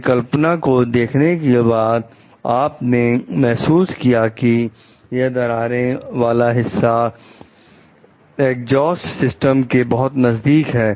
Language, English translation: Hindi, After looking at the design you realize that the cracked portion is in proximity to the exhaust system